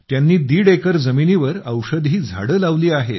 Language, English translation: Marathi, He has planted medicinal plants on one and a half acres of land